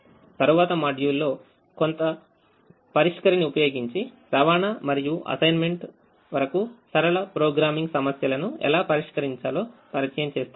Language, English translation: Telugu, in the next module we will introduce how to solve linear programming problems, upto transportation and assignment, using some solver